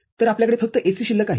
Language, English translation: Marathi, So, you are left with AC only